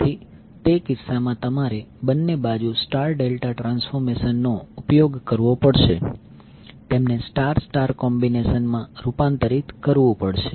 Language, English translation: Gujarati, So what you have to do in that case, you have to use star delta transformation on both sides, convert them into star star combination